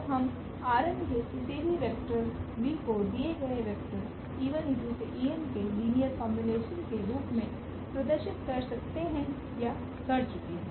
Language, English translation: Hindi, So, we can represent or we have already represented here any vector v from this R n as a linear combination of these given vectors e 1 e 2 e 3 e n